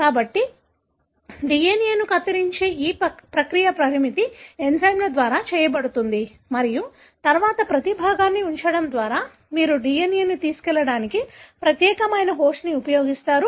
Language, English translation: Telugu, So, this process of cutting the DNA is done by restriction enzymes and then, putting each fragment, you use specialized host to carry the DNA